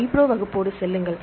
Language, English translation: Tamil, So, go with the iPro class